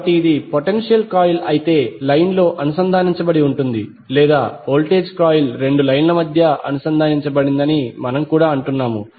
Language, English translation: Telugu, So because it is connected in the line while the respective potential coil or we also say voltage coil is connected between two lines